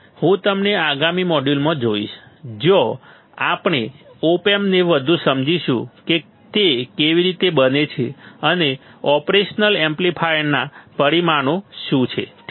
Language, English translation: Gujarati, And I will see you I will see you in the next module, I will see you in the next module, where we will understand the op amps further that what they what they consist of and what are the parameters of the operational amplifier all right